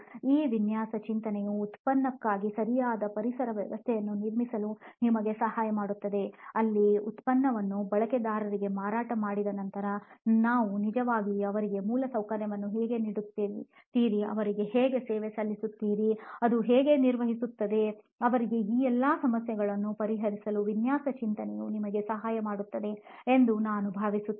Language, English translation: Kannada, We would also like design thinking to help us in building a proper ecosystem for this product, where we can actually after the product is sold to a user, then how the infrastructure is given to them, how it is serving them, how it is maintained for them I think design thinking can help us in solving all these issues as well